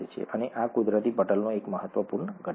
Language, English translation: Gujarati, And this is an important constituent of natural membranes